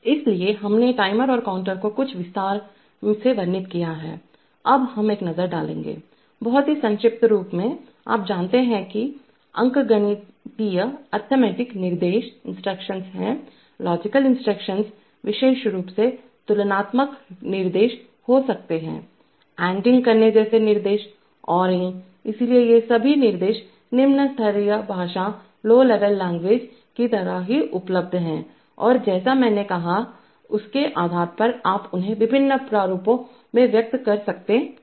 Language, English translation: Hindi, These are, so we have covered the timer and counter in some detail, now we will take a look at, very brief look at, you know there are arithmetic instructions, there may be logical instructions, specifically instructions like compare, instruction like doing ANDing, ORing, so all these instructions are available, just like a low level language and you can express them in various formats depending on the manufacturer as I said